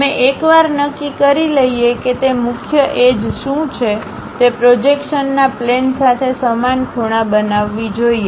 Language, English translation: Gujarati, We once we decide what are those principal edges, they should make equal angles with the plane of projection